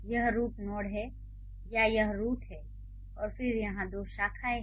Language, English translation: Hindi, So, this is the root node or this is the root and then there are two branches here